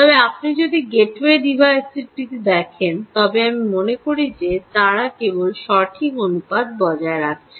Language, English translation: Bengali, but if you look at the gateway device, i think, ah, they just maintain proper proportion